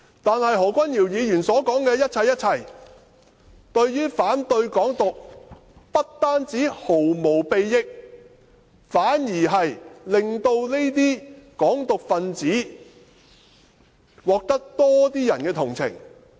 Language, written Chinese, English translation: Cantonese, 但是，何君堯議員所說的一切，對於反對"港獨"，不但毫無裨益，反而令這些港獨分子獲得更多人同情。, However everything Dr Junius HO has said against Hong Kong independence has not served any purpose . Worse still more people have become sympathetic with these advocates of Hong Kong independence